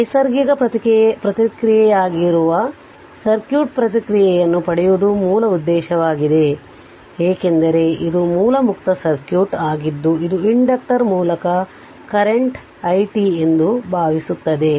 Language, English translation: Kannada, Basic objective is to obtain the circuit response which will be natural response, because this is a source free circuit which will assume to be the current i t through the inductor